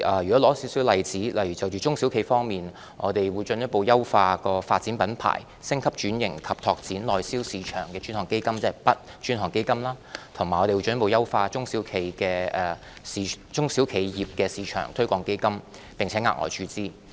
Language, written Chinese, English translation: Cantonese, 舉例說，就中小企方面，我們會進一步優化"發展品牌、升級轉型及拓展內銷市場的專項基金"，即 "BUD 專項基金"，以及進一步優化中小企業市場推廣基金，並額外注資。, For instance in respect of SMEs we will make further enhancements to the Dedicated Fund on Branding Upgrading and Domestic Sales ie . the BUD Fund and the SME Export Marketing Fund and again provide additional injections into these Funds